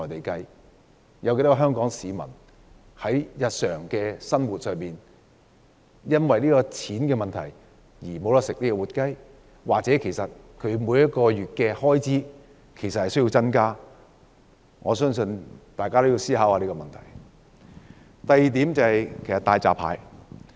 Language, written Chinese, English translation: Cantonese, 究竟有多少香港市民在日常生活因為價錢問題而不能吃活雞，或他們每月的開支需要增加多少才能負擔吃活雞？, How many Hong Kong people have not been able to eat live chickens because of the high prices? . By how much must their monthly expenditures be increased before they can afford to eat live chickens?